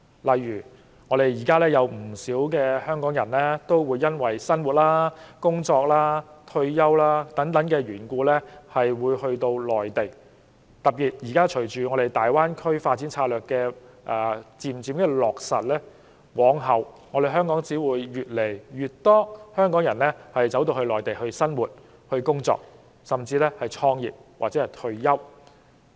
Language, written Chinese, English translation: Cantonese, 例如，現時有不少香港人基於生活、工作或退休等原因而居於內地；隨着現時粵港澳大灣區發展策略逐漸落實，往後只會有越來越多香港人回到內地生活、工作，甚至創業或退休。, For example many Hongkongers now reside on the Mainland for such reasons as living work or retirement . Now with the progressive implementation of the development strategy of the Guangdong - Hong Kong - Macao Greater Bay Area the number of Hong Kong people living working even starting businesses or retiring on the Mainland will only grow in future